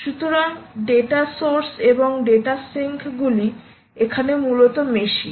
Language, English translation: Bengali, ok, so data sources and data syncs are essentially machines